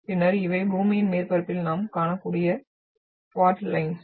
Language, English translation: Tamil, And then these are fault lines which we can see on the earth’s surface